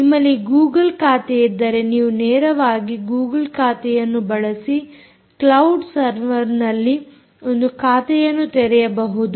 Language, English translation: Kannada, if you have a google account, you should be able to create an account on the cloud server